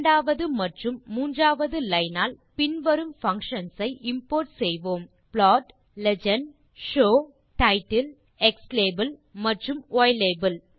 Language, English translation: Tamil, The second and third line we import the functions plot() , legend() , show() , title() , xlabel() and ylabel()